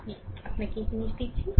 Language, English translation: Bengali, I am giving you this thing